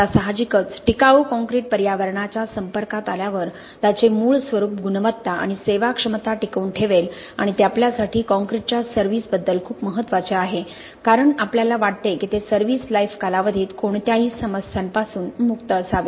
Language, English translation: Marathi, Now of course durable concrete will retain its original form, quality and serviceability when exposed to the environment and that is very important for us as far as concrete service is concerned because we want it to be free of any problems during the service life of the structure